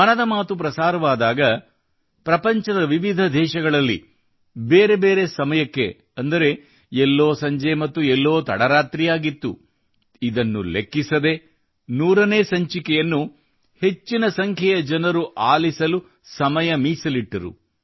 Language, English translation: Kannada, When 'Mann Ki Baat' was broadcast, in different countries of the world, in various time zones, somewhere it was evening and somewhere it was late night… despite that, a large number of people took time out to listen to the 100th episode